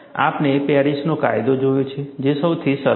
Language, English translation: Gujarati, We have seen Paris law, which is the simplest